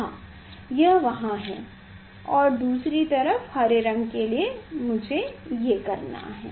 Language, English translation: Hindi, Yes, it is there and for other side green one I have to, yes